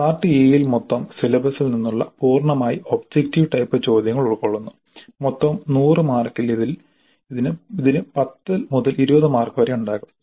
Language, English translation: Malayalam, Now part A has objective type questions covering the complete syllabus and the total marks allocated to this part may vary from 10 to 20 out of the total of 100